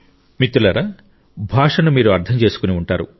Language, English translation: Telugu, you must have understood the language